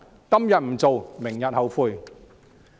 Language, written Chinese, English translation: Cantonese, 今天不做，明天後悔。, If we do not take action today we will regret tomorrow